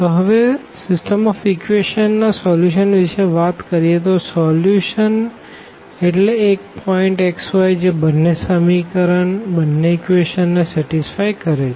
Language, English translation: Gujarati, Now, talking about the solution of the system of equations; so solution means a point x y which satisfy satisfies both the equations